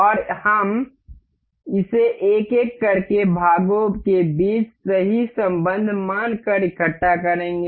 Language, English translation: Hindi, And we will assemble this one by one assuming the perfect relationship between the parts